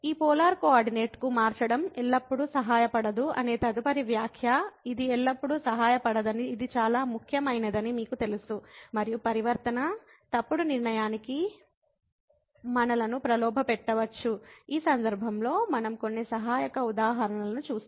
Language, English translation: Telugu, The next remark that changing to this polar coordinate does not always helps, you know this is very important now that it does not always help and the transformation may tempt us to false conclusion we will see some supporting example in this case